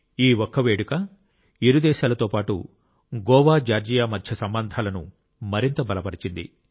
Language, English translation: Telugu, This single ceremony has not only strengthened the relations between the two nations but as well as between Goa and Georgia